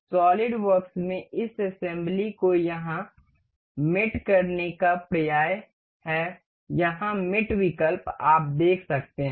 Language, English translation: Hindi, The assembly in this in solidworks is synonymous to mate here; mate option you can see